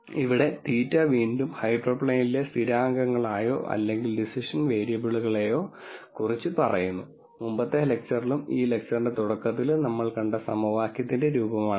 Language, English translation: Malayalam, Here theta again speaks to the constants in the hyperplane or the decision variables and this is the form of the equation that we saw in the previous lecture and in the beginning of this lecture also I believe